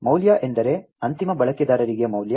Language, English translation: Kannada, Value means, value to the end user